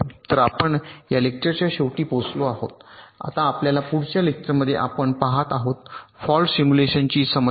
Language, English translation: Marathi, now, in our next lecture, we shall be looking at the problem of fault simulation